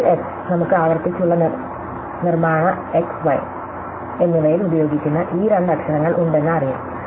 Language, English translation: Malayalam, Now, in S, we know for sure that these two letters that we use the in recursive construction x and y